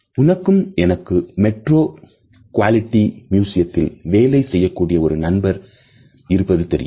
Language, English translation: Tamil, You know I have a friend, who works at the metropolitan museum of art